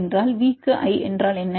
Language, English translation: Tamil, What is a V to I